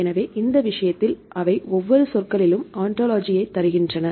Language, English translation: Tamil, So, in this case they give the ontology of each terms